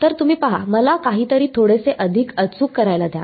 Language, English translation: Marathi, So, you see let me do something a little bit more accurate